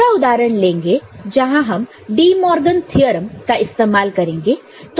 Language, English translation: Hindi, So, another example we can see where we use the DeMorgan’s theorem